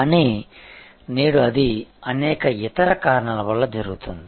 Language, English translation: Telugu, But, today it is happening due to various other reasons